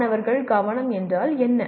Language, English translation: Tamil, What is student engagement